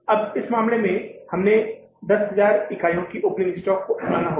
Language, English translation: Hindi, As in the previous period, we kept the closing stock of the 10,000 units